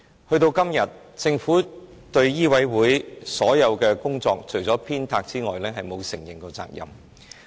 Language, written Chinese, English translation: Cantonese, 時至今日，政府對醫委會的所有工作，除了鞭策外，從沒承認責任。, To date the Government has never admitted any responsibility for any of the work of MCHK apart from pushing it